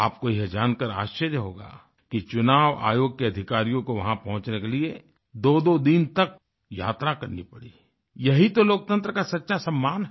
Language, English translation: Hindi, You will be amazed to know that it took a journey of two days for personnel of the Election Commission, just to reach there… this is honour to democracy at its best